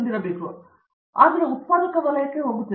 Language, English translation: Kannada, It’s not going to the productive sector